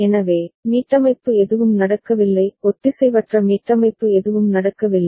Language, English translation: Tamil, So, there is no resetting happening; no asynchronous resetting happening